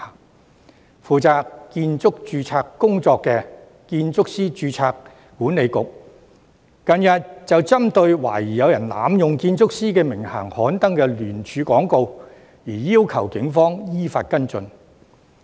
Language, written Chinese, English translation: Cantonese, 近日負責建築師註冊工作的建築師註冊管理局，便針對懷疑有人濫用建築師名銜刊登的聯署廣告，要求警方依法跟進。, Recently in respect of the alleged abuse of the title of architects in an advertisement the Architects Registration Board responsible for the registration of architects has requested the Police to follow up in accordance with the law